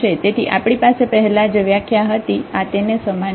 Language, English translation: Gujarati, So, this is a similar definition what we have earlier